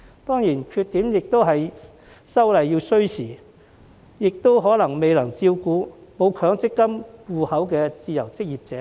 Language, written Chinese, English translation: Cantonese, 當然，缺點是修例需時，以及可能未能照顧到沒有強積金戶口的自由職業者。, Of course the downside is that it takes time to amend the legislation and it may not cater for freelancers who do not have any MPF accounts